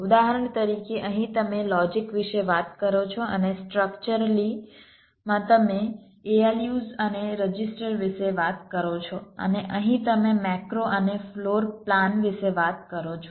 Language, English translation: Gujarati, for example, here you talk about logic, here and in structurally you talk about a loose and registers and here you talk about macros and floor plans